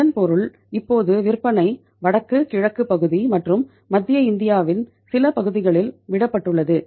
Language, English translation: Tamil, It means now the sale is left in the north, eastern part of the country and some part of the central India